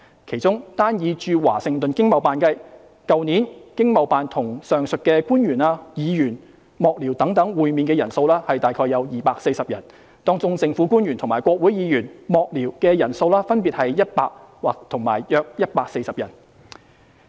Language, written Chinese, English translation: Cantonese, 其中，單以駐華盛頓經貿辦計，去年經貿辦與上述官員/議員/幕僚等會面的人數約240人，當中政府官員及國會議員/幕僚的人數分別約100人和約140人。, Of such ETOs the one in Washington DC alone met around 240 aforesaid government officialsmembersstaffers etc . last year with around 100 and 140 being government officials and congressional membersstaffers respectively